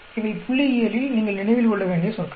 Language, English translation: Tamil, These are terms you need to remember in statistics